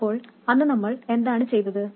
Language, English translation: Malayalam, So what did we do then